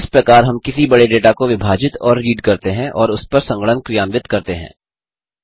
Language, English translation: Hindi, This is how we split and read such a huge data and perform computations on it